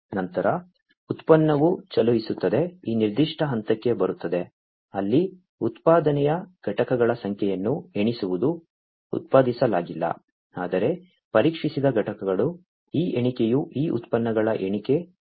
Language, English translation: Kannada, Then the product moves on comes to this particular point, where the counting of the number of units of production, and you know, the units, which have been not only produced, but tested over here this counting takes place counting of these products takes place